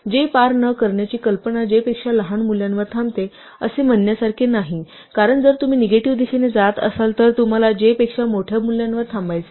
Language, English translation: Marathi, This idea about not crossing j it is not same as saying stops smaller than j because if you are going in the negative direction you want to stop at a value larger than j